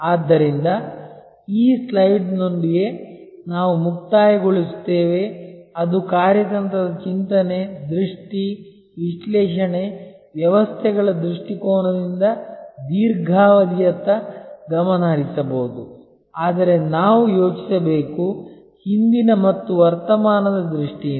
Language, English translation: Kannada, So, we will conclude with this slide which shows the components of strategic thinking, the vision, the analysis, with the systems perspective there may be a focus on the long term, but we have to think in terms of the past and the present